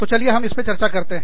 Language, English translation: Hindi, We will talk about this